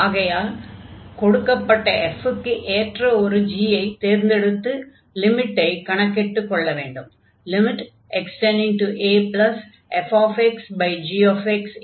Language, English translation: Tamil, So, in this case we will choose some g for given f for the other way around, and compute this limit